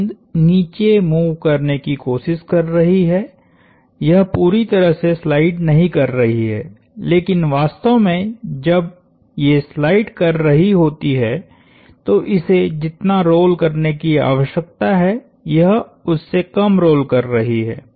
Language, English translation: Hindi, The ball is trying to move down it is not perfectly sliding, but it is essentially rolling less than it needs to roll, while it is sliding